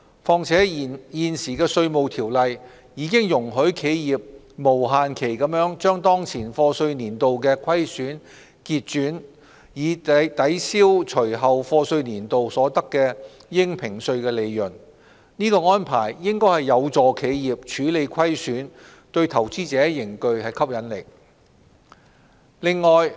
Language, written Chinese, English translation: Cantonese, 況且現時《稅務條例》已容許企業無限期把當前課稅年度的虧損結轉，以抵銷隨後課稅年度所得的應評稅利潤，此安排應有助企業處理虧損，對投資者仍具吸引力。, Moreover currently the Inland Revenue Ordinance already allows losses of enterprises of a year of assessment to be carried forward without time limit for setting off against assessable profits derived in the subsequent years of assessment . This arrangement remains attractive to investors as it can help enterprises to manage their losses